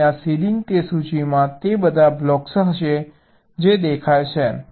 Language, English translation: Gujarati, so that ceiling, that list, will contain all those blocks which are visible